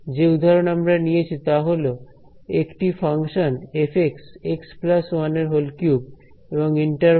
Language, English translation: Bengali, And, the example that I have taken is a function f x is x plus 1 cube and the interval is minus 1 to 1 ok